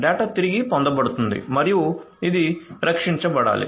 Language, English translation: Telugu, So, the data is being retrieved and has to be protected